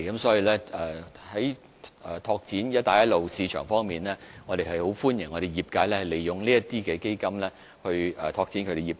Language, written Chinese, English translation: Cantonese, 所以，在拓展"一帶一路"市場方面，我們相當歡迎業界利用有關基金來拓展業務。, Therefore as regards developing Belt and Road markets the industries are welcome to make use of relevant funds for business development